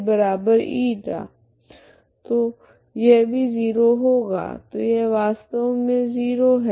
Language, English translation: Hindi, So that is this is also 0 so this is actually 0